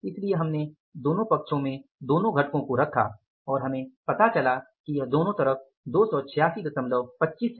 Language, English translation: Hindi, So, we put both the sides, both the components we found out that is 286